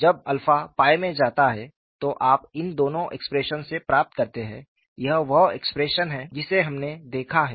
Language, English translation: Hindi, When alpha goes to pi, when alpha goes to pi, you get from both this expressions; this is the expression we have seen